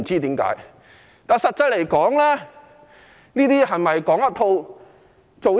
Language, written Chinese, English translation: Cantonese, 實際上，這是否"講一套，做一套"？, In fact does it mean that he is just talking the talk but not walking the walk?